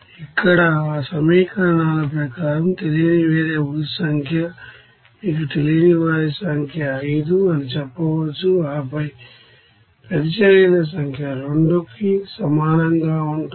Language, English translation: Telugu, Here number of unknowns variables as per that equations here, we can say the number of unknowns is you know 5 and then number of reactions will be equals to 2